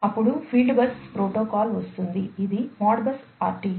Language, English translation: Telugu, Then, comes the field bus protocol which is the Modbus RTU